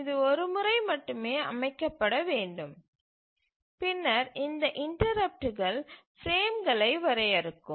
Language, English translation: Tamil, So, it needs to be set only once and then keeps on giving interrupts at this interval defining the frames